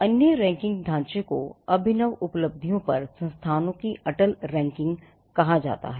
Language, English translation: Hindi, Now, the other ranking framework is called the Atal Ranking of Institutions on Innovation Achievements